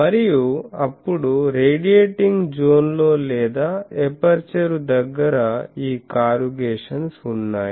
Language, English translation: Telugu, And, then in the radiating zone or near the aperture there is this corrugation